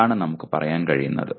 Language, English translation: Malayalam, That is what we can say